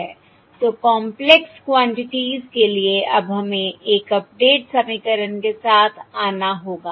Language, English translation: Hindi, So for the, the complex quantities, now we have to come up with a update equation